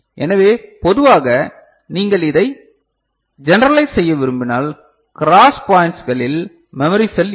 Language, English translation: Tamil, So, generally, if you want to generalize it so, this is what I was talking about this, you know cross point will be having the memory cell